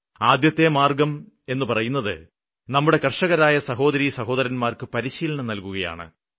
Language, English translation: Malayalam, So the first solution is that the brothers and sisters engaged in agriculture need to be trained